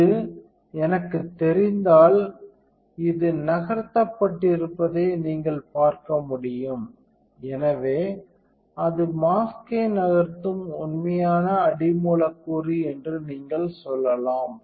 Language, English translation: Tamil, So, when I know this you can see that this has been moved, so you can tell that is the actual substrate moving enough the mask